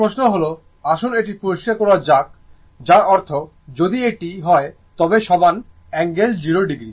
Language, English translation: Bengali, Now question is , ah let me clear it that means my I is equal to if it is I, right angle 0 degree